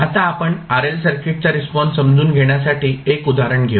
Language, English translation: Marathi, Now, let us take 1 example to understand the response of RL circuit